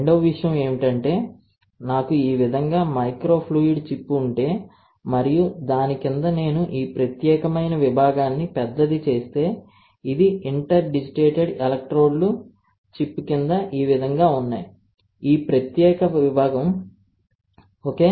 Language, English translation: Telugu, Second thing, if I have a microfluidic chip like this and below it if I magnified this particular section then this is like interdigitated electrodes are there below the chip like this, this particular section, ok